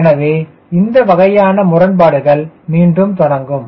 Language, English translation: Tamil, so this sort of a conflict starts again